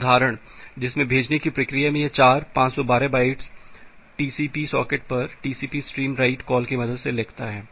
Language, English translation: Hindi, One example that the sending process it does four 512 byte writes to a TCP stream using the write call to the TCP socket